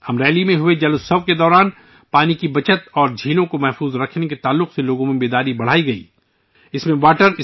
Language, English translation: Urdu, During the 'JalUtsav' held in Amreli, there were efforts to enhance awareness among the people on 'water conservation' and conservation of lakes